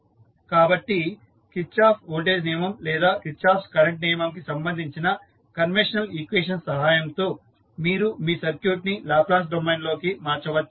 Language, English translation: Telugu, So, with the help of the conventional equations related to Kirchhoff Voltage Law or Kirchhoff Current Law, you can convert your circuit into the Laplace domain and then find out the transfer function of the system